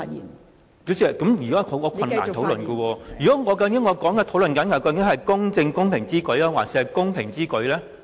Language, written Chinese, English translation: Cantonese, 代理主席，這樣我很難討論下去，究竟我應該討論"公正公平之舉"，還是"公平之舉"呢？, Deputy Chairman it would be very difficult for me to continue with the discussion . Whether our discussion should be based on it is just and equitable to do so or it is equitable to do so?